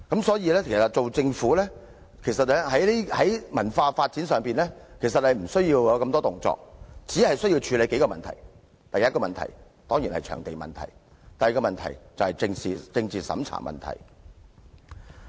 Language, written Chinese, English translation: Cantonese, 其實，政府在文化發展上根本無需太多動作，只需處理數項問題，第一當然是場地問題，第二則是政治審查問題。, Actually the Government simply does not need to do much on cultural development . It only needs to tackle several issues . The first issue is of course the provision of venues and the second is the problem of political censorship